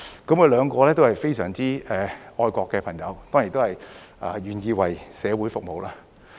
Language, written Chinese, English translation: Cantonese, 他們兩位都是非常愛國的朋友，當然都願意為社會服務。, Both being our very patriotic fellows they are certainly willing to serve the community